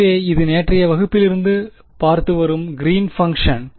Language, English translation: Tamil, So, this is the Green’s function that we had from yesterday’s class right